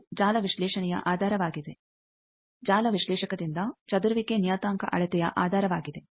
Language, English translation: Kannada, This is the basis of network analysis, basis of scattering parameter measurement by network analyzer